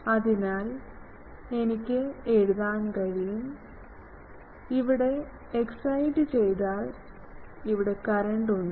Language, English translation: Malayalam, So, I can write that there is; obviously, I am exciting it; so, there is current here